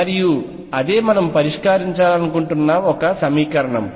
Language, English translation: Telugu, And this is the equation we want to solve